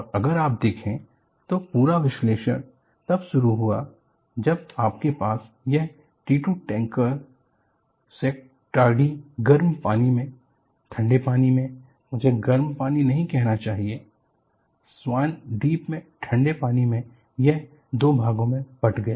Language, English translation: Hindi, And if you really look at, the whole analysis started when you had this T 2 tanker Schenectady broke into two in the warm waters of, in the cold waters, you should not say warm waters, in the cold waters of Swan island and this is the tanker